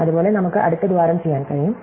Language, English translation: Malayalam, Likewise, we can do the next hole